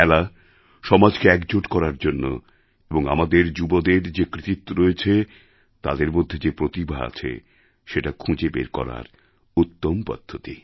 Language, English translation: Bengali, Sports is an excellent route to unite society and to showcase the talents & skills of our youth